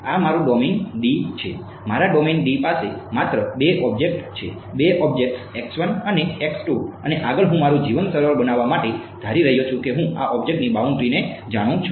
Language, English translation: Gujarati, This is my domain D; my domain D has only two objects ok, two objects x 1 and x 2 and further what I am assuming to make my life easier that I know the boundaries of these objects ok